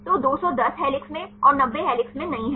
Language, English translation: Hindi, So, 210 are in helix and 90 not in helix